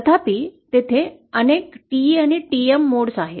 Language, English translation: Marathi, However there are multiple TE and TM modes